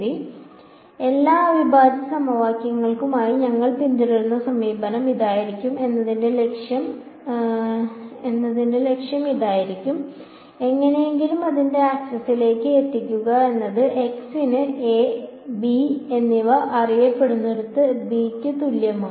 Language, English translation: Malayalam, So, this is going to be the objective of I mean the approach that we will follow for all integral equations somehow get it into Ax is equal to b where A and b are known solve for x